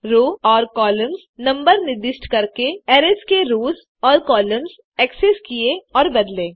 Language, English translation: Hindi, Access and change rows and columns of arrays by specifying the row and column numbers